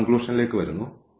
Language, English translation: Malayalam, So, and now coming to the conclusion